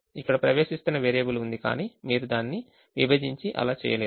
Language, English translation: Telugu, there is an entering variable here, but you cannot divide and do that